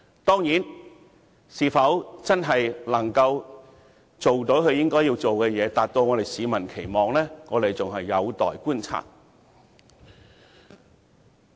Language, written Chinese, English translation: Cantonese, 當然，她是否真的能做到她應做的事，達到市民的期望，仍有待觀察。, Of course it remains to be seen whether she is really capable of doing what she ought to do and meeting public expectations